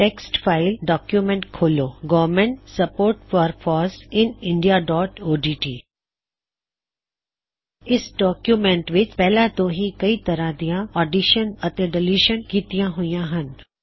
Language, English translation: Punjabi, Open a text file document Government support for FOSS in India.odt In this document, we can see that several additions and deletions have been done